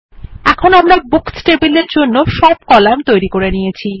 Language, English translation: Bengali, Now we have created all the columns for the Books table